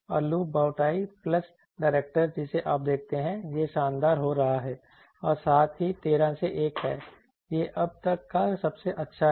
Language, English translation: Hindi, And loop bowtie plus directors you see it is going glower and also 13 is to 1 this is the best till now achieved